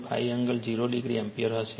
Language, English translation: Gujarati, 5 angle 0 degree ampere